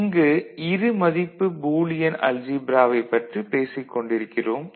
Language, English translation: Tamil, So, it has got 6 postulates and here we are talking about two valued Boolean algebra